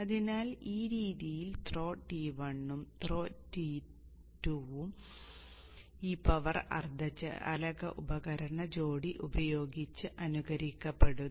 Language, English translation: Malayalam, So in this way both the throw 1 and throw 2 are emulated using this power semiconductor device couplet